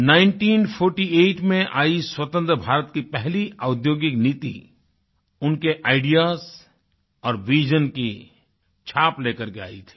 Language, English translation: Hindi, The first industrial policy of Independent India, which came in 1948, was stamped with his ideas and vision